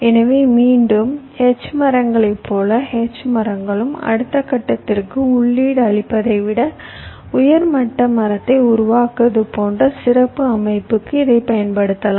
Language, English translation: Tamil, so again, h trees, ah, just like h trees, you can use it for special structure, like creating a top level tree than feeding it to the next level, like that you can use this also